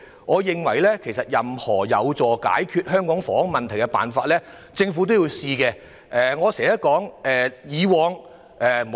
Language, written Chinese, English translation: Cantonese, 我認為任何有助解決香港房屋問題的方法，政府也應該嘗試。, In my opinion the Government should give a try to whatever ways that can help solve the housing problem in Hong Kong